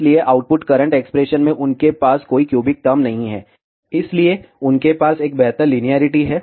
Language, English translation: Hindi, So, they do not contain any cubic term in the output current expression, so they have a better linearity